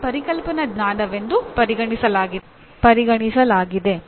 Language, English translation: Kannada, All theories are also considered as conceptual knowledge